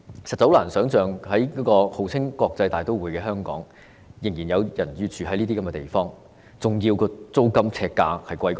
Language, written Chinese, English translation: Cantonese, 實在很難想象，在號稱國際大都會的香港，仍然有人要居住於這些地方，而且租金呎價比豪宅還要高。, It is really hard to imagine that in Hong Kong a well - known international metropolis some people still have to live in such dwellings . Moreover the per - square - foot rent is even higher than that of luxury flats